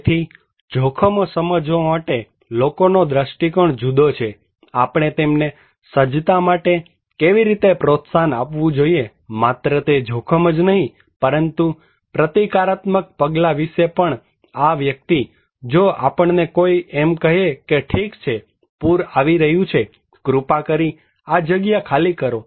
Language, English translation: Gujarati, So, people have different perspective in about understanding risk, how we have to encourage them for the preparedness then, not only that risk but also about countermeasures, this person if we ask someone that okay, flood is coming, please evacuate